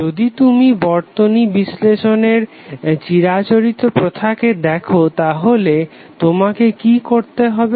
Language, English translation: Bengali, If you see the conventional way of circuit analysis what you have to do